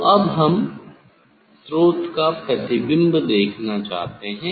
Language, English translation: Hindi, So now, we want to see image of the source